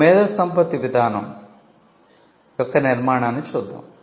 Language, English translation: Telugu, Now, let us look at the structure of an IP policy